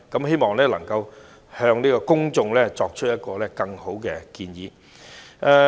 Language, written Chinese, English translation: Cantonese, 希望政府能夠向公眾提出更好的建議。, I hope the Government can provide the public with better proposals